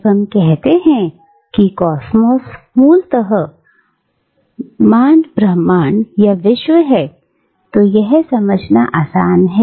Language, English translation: Hindi, When we say that cosmos is basically the Universe, or the World, that is easy to grasp